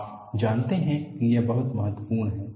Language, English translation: Hindi, You know, this is very very important